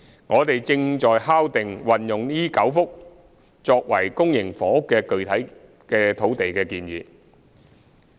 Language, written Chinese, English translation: Cantonese, 我們正在敲定將這9幅土地用作公營房屋發展的具體建議。, We are finalizing the specific proposals on utilizing the nine sites for public housing development